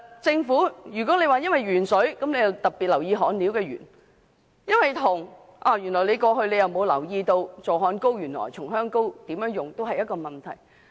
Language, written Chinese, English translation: Cantonese, 政府因為鉛水事件而特別留意焊料含鉛，但過去沒有留意如何使用助焊膏、松香膏也是一個問題。, The Government though it has kept a close eye on the lead contents in solder after the lead - in - water incident was actually not aware of the use of flux in the past . The use of rosin flux also poses a problem